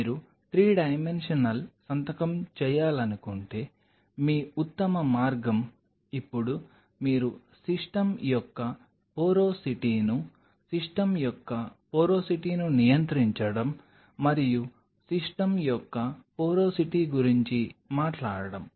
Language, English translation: Telugu, If you wanted to do a 3 dimensional signature then your best way is now you have to control the porosity of the system, porosity of the system and talking about the porosity of the system